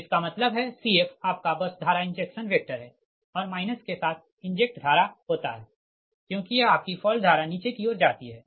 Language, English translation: Hindi, f is the your, what you call bus current injection vector, and injected current with minus i f because it is fault current is going your distinct down downwards, right